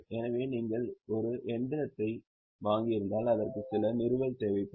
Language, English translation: Tamil, So, if you have purchased machinery, it will need some installation